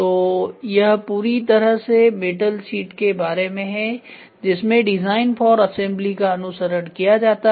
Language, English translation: Hindi, So, this is completely from the metal sheet metal point of you following design for assembly